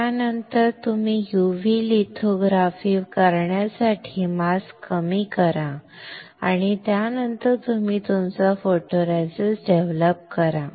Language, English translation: Marathi, After that you lower the mask do the UV lithography and then you develop your photoresist